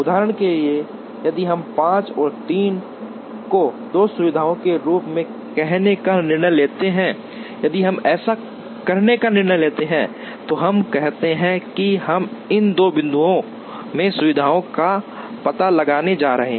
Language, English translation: Hindi, Example, if we decide to have say 5 and 3 as the two facilities, if we decide to do that then we say we are going to locate facilities in these two points